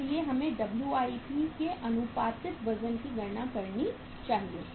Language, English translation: Hindi, So we should calculate the proportionate weight of the WIP